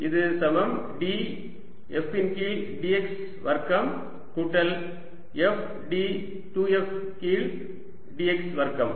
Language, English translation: Tamil, d by d x f is going to be equal to d f by d x square plus f v two, f by d x square